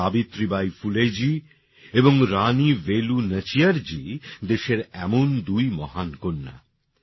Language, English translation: Bengali, Savitribai Phule ji and Rani Velu Nachiyar ji are two such luminaries of the country